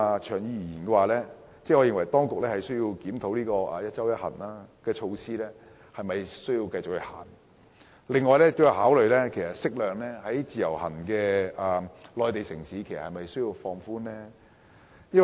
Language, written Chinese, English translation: Cantonese, 長遠而言，我認為當局須檢討"一周一行"的措施應否繼續推行，同時考慮應否適量開放至其他內地城市。, In the long term I think the authorities should review the merits of maintaining the one trip per week measure while considering whether the measure should be moderately extended to other Mainland cities